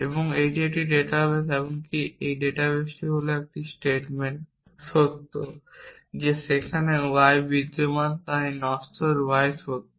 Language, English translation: Bengali, And this is a database even this database is that satement true that there exist the y so that mortal y is true